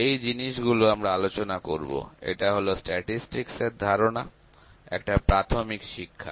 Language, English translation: Bengali, So, these things we will discuss; so, this is just an introductory lecture to certain statistical concepts